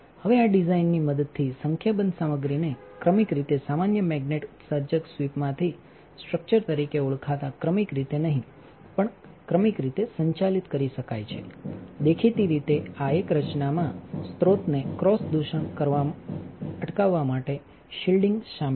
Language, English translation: Gujarati, Now, with this design number of materials can be operated sequentially not simultaneously sequentially from a common magnate emitter sweep called structure; obviously, this is a design includes shielding to prevent the cross contamination of the source